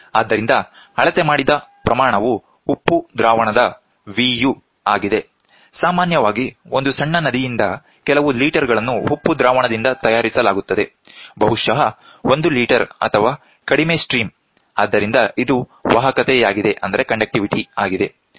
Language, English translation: Kannada, So, the measured quantity is V suffix u of salt solution is made up, typically a few letters from a river small river; perhaps, 1 liter or less of stream so, the conductivity is this